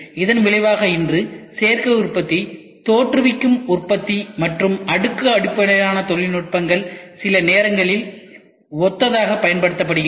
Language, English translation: Tamil, Consequently today the terms Additive Manufacturing, Generative Manufacturing and layered based technologies are sometimes used synonymously